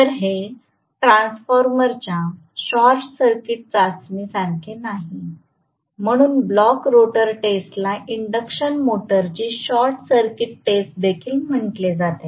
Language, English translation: Marathi, So, is not it very similar to the short circuit test of a transformer that is why the block rotor test is also known as short circuit test of the induction motor